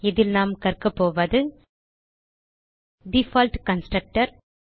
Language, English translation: Tamil, In this tutorial we will learn About the default constructor